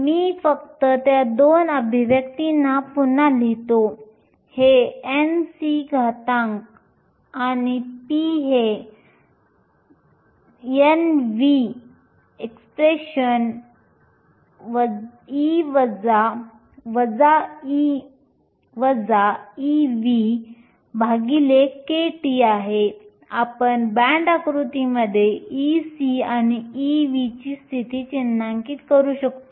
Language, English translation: Marathi, Let me just rewrite those two expressions, this n c exponential and p is n v exponential minus e f minus e v over kT, we can mark the position of e c and e v in the band diagram